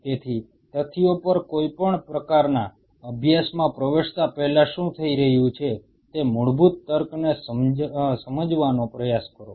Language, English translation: Gujarati, So, even before getting into any kind of study on facts try to understand the basic fundamental logic what is happening